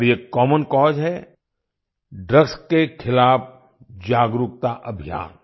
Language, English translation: Hindi, And this common cause is the awareness campaign against drugs